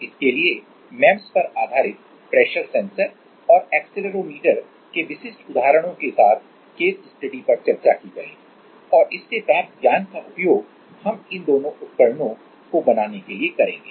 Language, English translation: Hindi, So, case studies will be discussed with specific examples of MEMS pressure sensor and accelerometer and we will use this knowledge to make these two devices